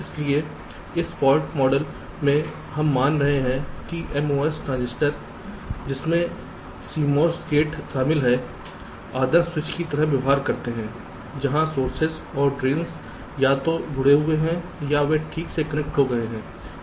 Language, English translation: Hindi, so in this fault model we are assuming that the mos transistor that comprises cmos, gate behave like ideal switches where sources and drains are either connected or they are disconnected